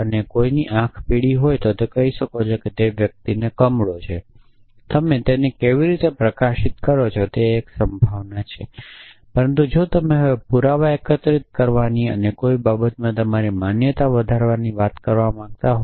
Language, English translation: Gujarati, And somebody has yellow eyes then its lightly that the person has jaundice how do you express his lightly look us one thing is this possibility, but if you want to now talk about gathering evidence and increasing your belief in something